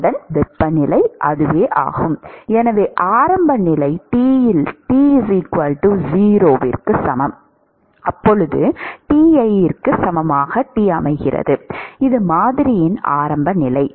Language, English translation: Tamil, So, the initial condition is T at t equal to 0 is equal to Ti that is the initial condition for the model